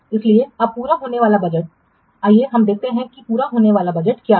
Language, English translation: Hindi, So budget at completion now let's see what is the budget at completion